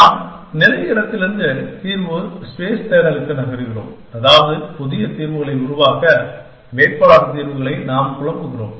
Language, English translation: Tamil, And we also said that, we are moving from state space to solution space search, which means that we are perturbing candidate solutions to generate new solutions